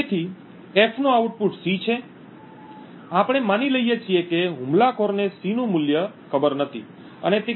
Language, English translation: Gujarati, So, the output of F is C, we assume that the attacker does not know the value of C and he is trying to obtain the value of K